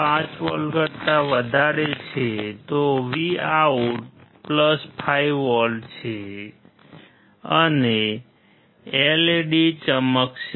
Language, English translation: Gujarati, 5V, Vout is +5V and LED will glow